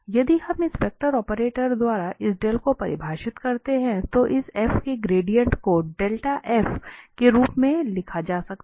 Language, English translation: Hindi, If we define this Del by this vector operator, then this grad f can be written as del f